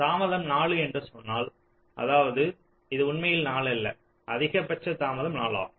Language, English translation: Tamil, we say a delay is four, which means this is not actually four